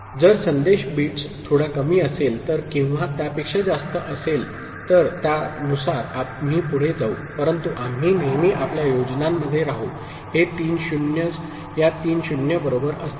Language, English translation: Marathi, If the message bit was less than that, then or more than that we’ll continue accordingly, but always we’ll be in our scheme of things; these three 0s, these three 0s will be there right